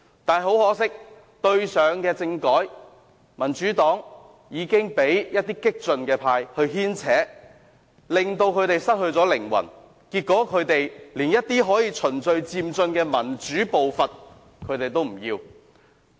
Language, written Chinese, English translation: Cantonese, 但是，很可惜，上次政改，民主黨被一些激進派牽扯，失去靈魂，結果連循序漸進的民主步伐也不要。, But unfortunately in the last constitutional reform exercise the Democratic Party was led by the nose by some radical Members and lost its soul and even turned its back on the approach of gradual and orderly democratization in the end